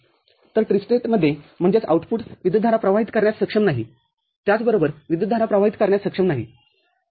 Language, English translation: Marathi, So, in Tristate; that means, the output is neither able to drive current, nor able to sink current, ok